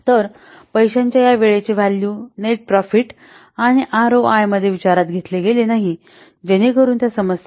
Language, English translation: Marathi, So this time value value of the money has not considered in the net profit and the ROI methods